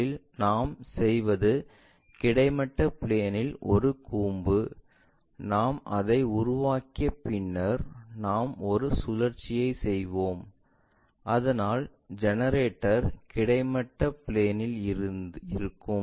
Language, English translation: Tamil, First, what we are doing is a cone resting on horizontal plane this is the thing if we can construct it then we will make a rotation, so that generator will be lying on the horizontal plane